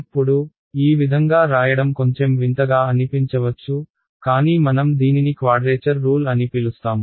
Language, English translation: Telugu, Now, this way of writing it might look a little strange, but this is what we call a quadrature rule